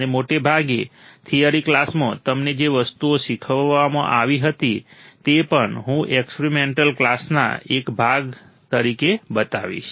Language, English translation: Gujarati, And mostly, the things that were taught to you in the theory class, I will also show also as a part of the experiment classes